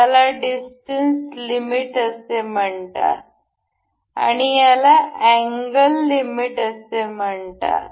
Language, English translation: Marathi, the This is called distance limit and this is called a angle limit